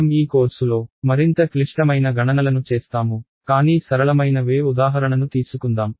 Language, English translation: Telugu, We will do much more complicated calculations in this course, but let us just take a simpler wave example